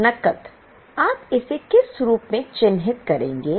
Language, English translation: Hindi, So, cash what will you mark it as